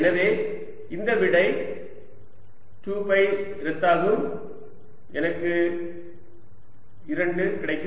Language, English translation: Tamil, so this answer is this: two pi cancels gives me two